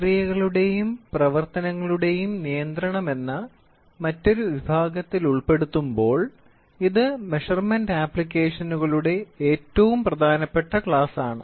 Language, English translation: Malayalam, When you put in the other category of control of processes and operations it is one of the most important classes of measurement applications